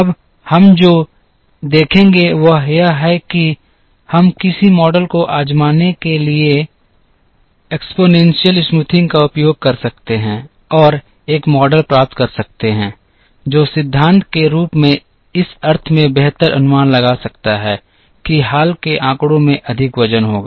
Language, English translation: Hindi, Now, what we will see is can we use exponential smoothing in some form to try and get a model which can in principle forecast better in the sense that more recent data will have more weightage